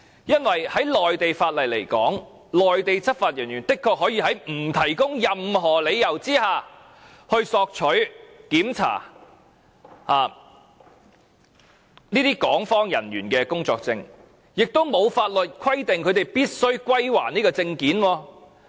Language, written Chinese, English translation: Cantonese, 因為就內地法律而言，內地執法人員的確可以在不提供任何理由的情況下，索取和檢查港方人員的工作證，亦沒有法律規定他們必須歸還證件。, According to the laws of the Mainland Mainland law enforcement officers truly have the power to request and check the work permit of personnel of the Hong Kong authorities without offering any reasons for doing so and there is no law requiring them to return the relevant documents